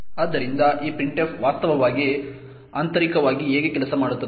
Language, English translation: Kannada, So, this is how printf actually works internally